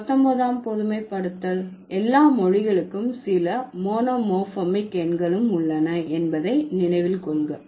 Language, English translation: Tamil, So, the 19th centralization would say that all languages have some monomorphic numerals